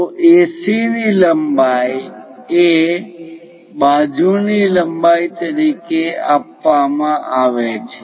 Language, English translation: Gujarati, So, what is given is AC length is given as side length